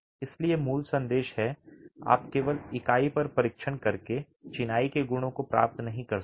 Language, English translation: Hindi, So, the basic message is you cannot qualify the properties of the masonry by simply doing a test on the unit